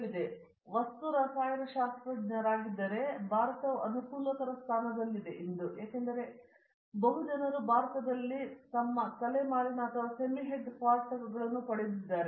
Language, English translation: Kannada, He he is a material chemist means a material development, but today India is in a favorable position because all multi nationals have got their head quarters or semi head quarters in India